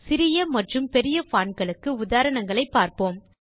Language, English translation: Tamil, Let us see a examples of small large fonts